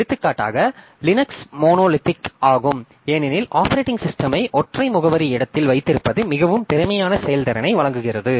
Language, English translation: Tamil, So, for example, Linux is monolithic because having the operating system in a single address space provides very efficient performance